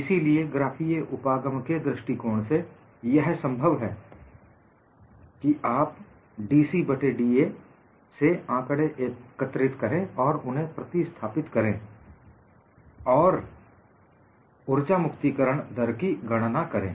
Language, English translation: Hindi, So, from the graphical approach, it is possible for you to collect the data of dC by da, substitute, and calculate the energy release rate